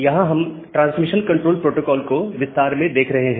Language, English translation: Hindi, So, we are looking into the Transmission Control Protocols in detail